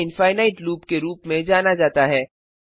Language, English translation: Hindi, It is known as infinite loop